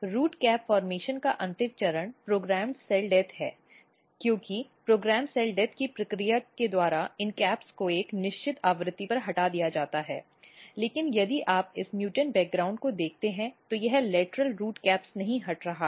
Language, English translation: Hindi, The final stage of root cap formation basically is programmed cell death because the at by the process of program cell death these caps are basically removed at a certain frequency, but if you look this mutants background what happens that this lateral root caps are not getting removed